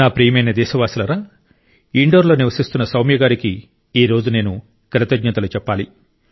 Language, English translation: Telugu, My dear countrymen, today I have to thank Soumya ji who lives in Indore